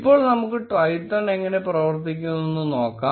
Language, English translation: Malayalam, Now let us look at how Twython works